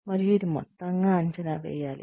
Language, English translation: Telugu, And, it needs to be assessed, as a whole